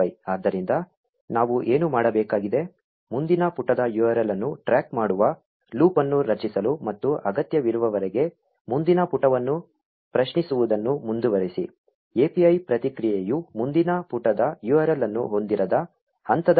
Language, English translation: Kannada, So what we need to do is to create a loop which will keep a track of the next page URL, and keep on querying the next page as long as needed; until the point where the API response does not contain a next page URL anymore